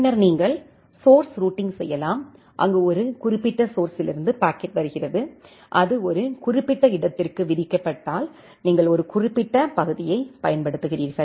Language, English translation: Tamil, Then you can do the source routing, source routing, where if the packet is coming from a specific source and it is destined to a specific destination then you use a specific part